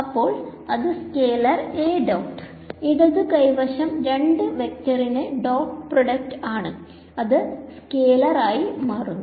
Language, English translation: Malayalam, So, this is a scalar A dot something this is again going to be a scalar, left hand side is dot product of two vectors going to be a scalar right